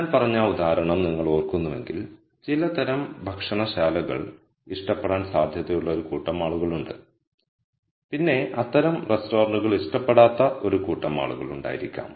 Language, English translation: Malayalam, So, if you remember that example I said there are a group of people who might like certain type of restaurant there might be a group of people who do not like that kind of restaurant and so on